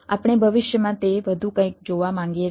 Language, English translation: Gujarati, right, we want to see that something more in the future